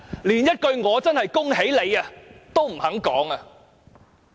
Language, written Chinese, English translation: Cantonese, 連一句"我真的恭喜你"也不肯說。, They have refused to even say a word of congratulations